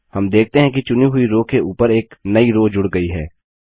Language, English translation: Hindi, We see that a new row gets inserted just above the selected row